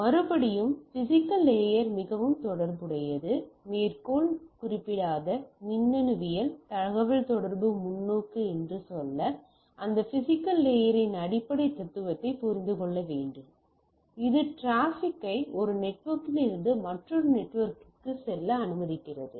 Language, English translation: Tamil, And though again the physical layer as we will see is more related to the so, to say quote unquote electronics and communication perspective, nevertheless we need to try we need to understand that physical layer basic philosophy, which allows me to carry the traffic from one network to another network and type of things